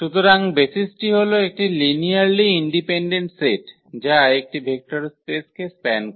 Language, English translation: Bengali, So, the basis is a linearly independent set that span a vector space